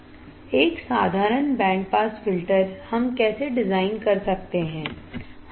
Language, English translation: Hindi, A simple band pass filter, how we can design